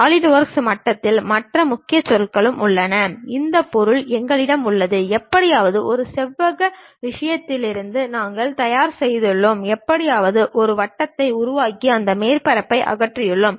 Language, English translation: Tamil, And there are other keywords also involved at Solidworks level, something like we have this object somehow we have prepared from rectangular thing, and somehow we have created a circle and remove that surface